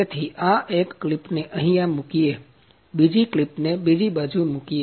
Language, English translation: Gujarati, So, it is that one clip is put here; another clip is put on the other side